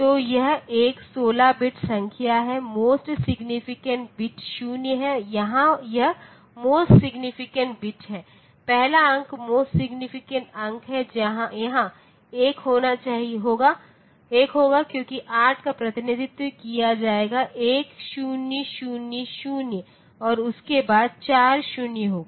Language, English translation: Hindi, So, this is a 16 bit number the most significant bit there is 0 and here this most significant bit, first digit is a most significant digit here will be 1 because the 8will be represent 1000 followed by 4 zeros